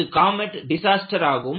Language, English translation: Tamil, This is a comet disaster